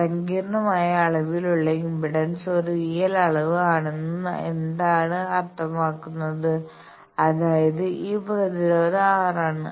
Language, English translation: Malayalam, What do mean by this that impedance which is a complex quantity is a real quantity; that means, it is simply the resistance r